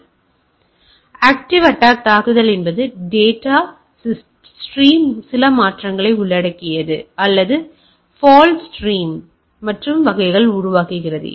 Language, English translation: Tamil, So, active attack on the other hand involves some modification of the data stream or creates any false stream and type of things